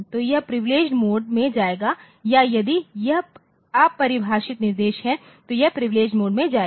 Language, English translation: Hindi, So, it will go to the privileged mode or if it is the undefined instruction so, it will go to the privileged mode